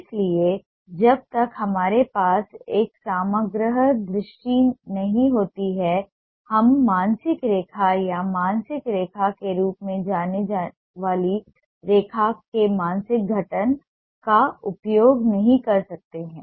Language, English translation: Hindi, so unless we have a holistic vision, we may not make use of the psychic formation of line, what is known as the mental line or the psychic line